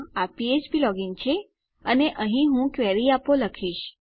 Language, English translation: Gujarati, This is php login and here I am going to say give a query